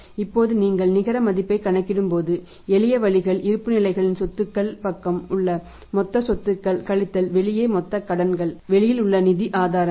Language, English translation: Tamil, Now when you are calculating the net worth simple ways total assets total of the balance sheets assets side total assets minus total outside liabilities outside sources of the funds